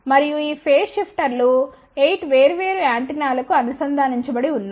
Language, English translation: Telugu, And these phase shifters are connected to 8 different antennas